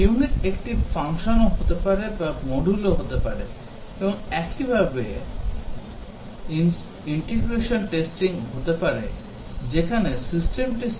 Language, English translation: Bengali, Unit may be function or a module and similarly integration testing whereas system testing is a validation technique